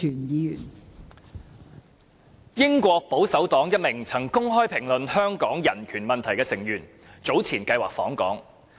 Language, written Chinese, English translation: Cantonese, 英國保守黨一名曾公開評論香港人權問題的成員早前計劃訪港。, Earlier on a member of the Conservative Party of the United Kingdom UK who had made open comments on Hong Kongs human right issues planned a visit to Hong Kong